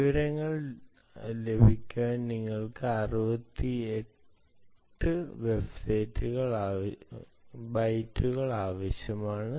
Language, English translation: Malayalam, you need sixty eight bytes